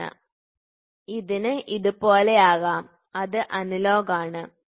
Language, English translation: Malayalam, So, it can go something like this it is analogous, ok